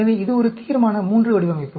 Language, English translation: Tamil, So, this is a Resolution III design